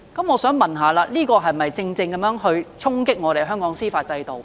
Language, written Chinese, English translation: Cantonese, 我想問，這豈不是正正衝擊香港的司法制度？, Is this not jeopardizing the judicial system in Hong Kong?